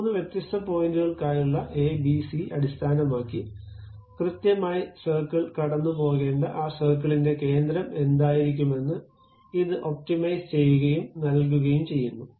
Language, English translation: Malayalam, Based on that a, b, c for three different points, it optimizes and provides what should be the center of that circle where exactly circle has to pass